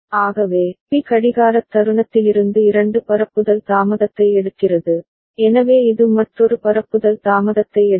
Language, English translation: Tamil, So, B is taking two propagation delay from the clocking instant, so it will take another propagation delay